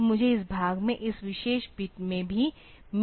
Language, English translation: Hindi, So, I am interested only in this part this particular bit